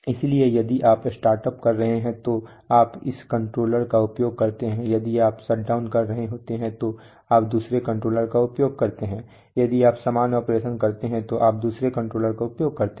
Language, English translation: Hindi, So if you are doing startup you use this controller, if you are doing shut down you use another controller, if when you are doing normal operation you do, you use another controller